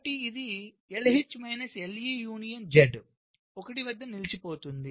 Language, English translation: Telugu, so it will be l d minus l c, union g stuck at zero